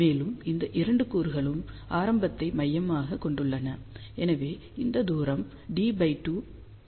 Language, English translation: Tamil, And these 2 elements are centred around the origin so, this distance is d by 2 this is also d by 2